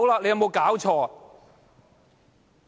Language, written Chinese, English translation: Cantonese, 有冇搞錯？, Is it not ridiculous?